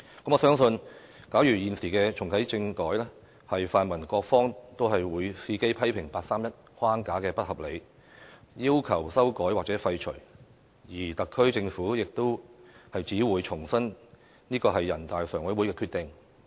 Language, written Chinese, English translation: Cantonese, 我相信，假如現時重啟政改，泛民各方都會伺機批評八三一框架不合理，要求修改或廢除，而特區政府亦只會重申這是全國人大常委會的決定。, I believe that if we are to reactivate constitutional reform now the pan - democratic camp and all sides will take the opportunity to criticize that the 31 August framework being unreasonable and demand for its amendment or repeal while the SAR Government will only reiterate that it is a decision made by NPCSC